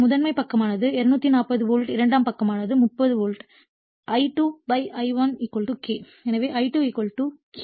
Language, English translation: Tamil, So, primary side is 240 volt secondary side is 30 volts also we know that I2 / I1 = K